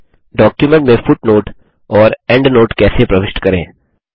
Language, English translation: Hindi, How to insert footnote and endnote in documents